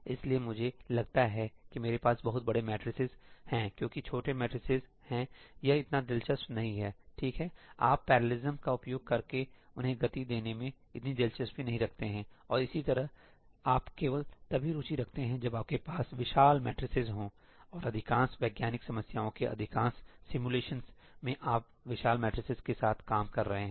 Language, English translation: Hindi, So, let me assume that I have very large matrices because there are small matrices it is not so interesting, right; you are not so interested in speeding them up using parallelism and so on, right; you are only interested when you have huge matrices and in most simulations of most scientific problems you are dealing with huge matrices